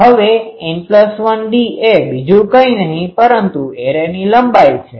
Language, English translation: Gujarati, Now n plus 1 into d is nothing but the array length L